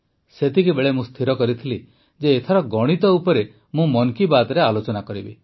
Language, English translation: Odia, At that very moment I had decided that I would definitely discuss mathematics this time in 'Mann Ki Baat'